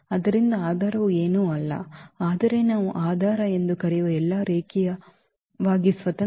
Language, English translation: Kannada, So, the basis is nothing, but spanning set which has all linearly independent vectors that we call basis